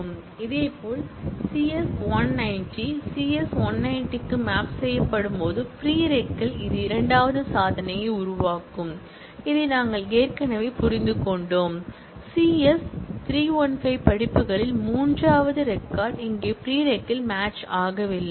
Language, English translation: Tamil, Similarly, CS 190, when it is mapped to the CS 190, in the prereq, it will generate the second record, we have already understood this, the third record in the courses CS 315 has no match here in prereq